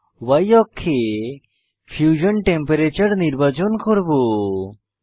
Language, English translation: Bengali, Y: I will select Fusion temperature on Y axis